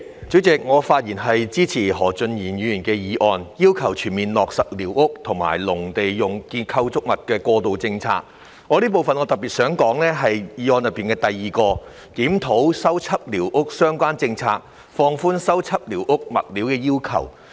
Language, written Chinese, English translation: Cantonese, 主席，我發言支持何俊賢議員提出"全面落實寮屋及農用構築物過渡政策"的議案，並特別希望在此談談當中的第二點，亦即"檢討修葺寮屋相關政策，放寬修葺寮屋物料的要求"。, President I am speaking in support of Mr Steven HOs motion entitled Fully implementing the interim policies for squatter structures and agricultural structures of which I would like to talk about point 2 in particular that is reviewing the relevant policy on repairing squatter structures and relaxing the requirements on materials for repairing squatter structures